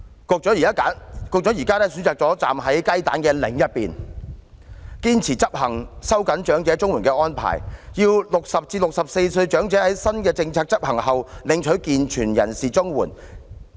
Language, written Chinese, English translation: Cantonese, 局長現時選擇站在雞蛋的另一方，堅持執行收緊長者綜援的安排，要60歲至64歲長者在新政策執行後領取健全人士綜援。, Now the Secretary has chosen to stand on the side opposite the egg insisting on implementing the arrangement for tightening the eligibility age for elderly CSSA where elderly aged between 60 and 64 are only eligible for able - bodied CSSA after the implementation of the new policy